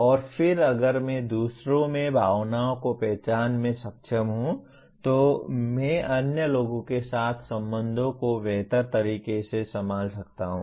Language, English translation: Hindi, And then if I am able to recognize emotions in others, I can handle the relations with other people much better